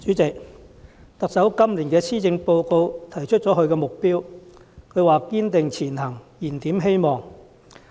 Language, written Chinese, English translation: Cantonese, 主席，特首在今年的施政報告提出了她的目標，是"堅定前行燃點希望"。, President in the Policy Address this year the Chief Executive puts forward her target of Striving Ahead Rekindling Hope